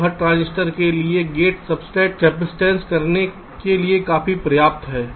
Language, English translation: Hindi, so for every transistor the gate to substrate capacitance is quite substantial